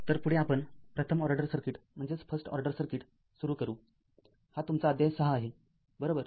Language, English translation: Marathi, So next ah next we will start the First order circuit, the this is your chapter 6 right